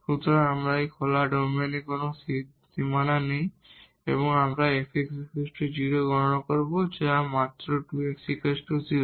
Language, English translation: Bengali, So, we have this open domain no boundaries and we will compute the f x is equal to 0 and which is just 2 x is equal to 0